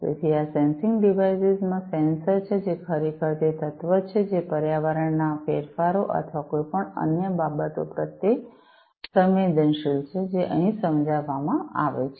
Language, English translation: Gujarati, So, these sensing devices have the sensor, which will which is actually the element, which is sensitive to these changes of environment or any other thing, that they are supposed to sense